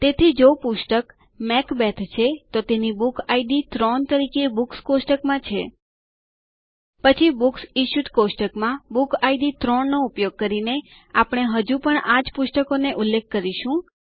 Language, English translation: Gujarati, So if the book, Macbeth, has its Book Id as 3 in the Books table, Then by using 3 in the Book Id of the Books Issued table, we will still be referring to the same book